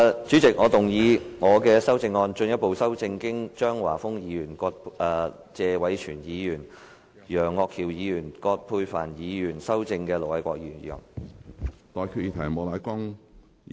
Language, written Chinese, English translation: Cantonese, 主席，我動議我的修正案，進一步修正經張華峰議員、謝偉銓議員、楊岳橋議員及葛珮帆議員修正的盧偉國議員議案。, I moved that Ir Dr LO Wai - kwoks motion as amended by Mr Christopher CHEUNG Mr Tony TSE Mr Alvin YEUNG and Dr Elizabeth QUAT be further amended by my revised amendment